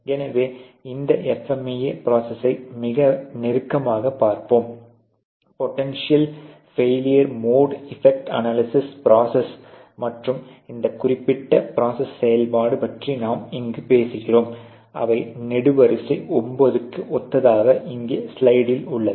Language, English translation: Tamil, So, let us look at this process FMEA a very closely, we are talking here about a potential failure mode effect analysis process, and the process function that is in this particular slide here which is corresponding to column 9